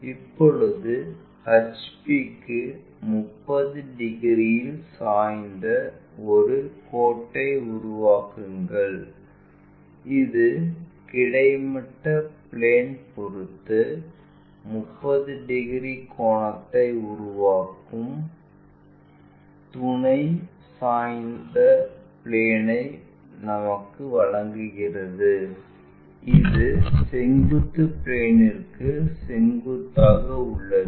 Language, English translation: Tamil, Now, construct a line inclined at 30 degrees to HP that gives us auxiliary inclined plane which is making 30 degrees angle with respect to our horizontal plane and this is perpendicular to vertical plane also